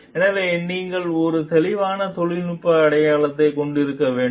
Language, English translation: Tamil, So, like they you should have a clear technical foundation